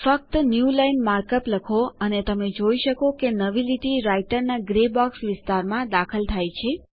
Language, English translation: Gujarati, Simply type the markup newline and notice that a new line is inserted in the Writer gray box area